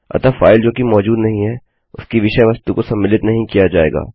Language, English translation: Hindi, So the content of the file which doesnt exist, wont be included